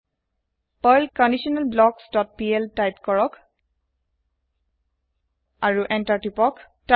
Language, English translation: Assamese, Type perl conditionalBlocks dot pl and press Enter